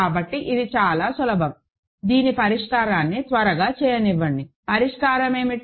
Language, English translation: Telugu, So, this is also easy, let me quickly do the solution of this, what is the solution